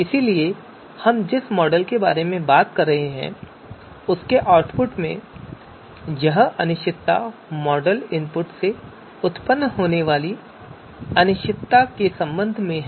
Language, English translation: Hindi, So this uncertainty in the output of you know a particular model that we are talking about is with respect to the uncertainty that is coming from that is originating from model input